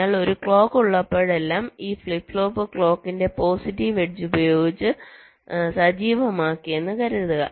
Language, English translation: Malayalam, so whenever there is a clock, suppose, this flip flop is activated by the positive edge of the clock